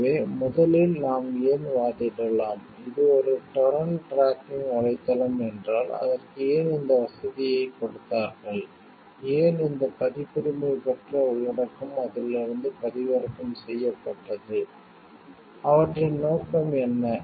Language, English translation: Tamil, So, first of all we may argue like why at all like, if it is a torrent tracking website then why at all they gave that this facility for it, why they give why was this copyrighted material got downloaded from it, what was their purpose for it